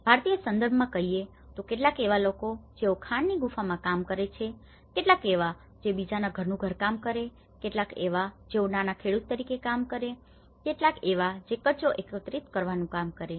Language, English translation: Gujarati, In Indian context, if you can say there was some people who place with mine caves, there people who was working as a housemaids, there are people who are working as a small farmers, there people who are working as a garbage collectors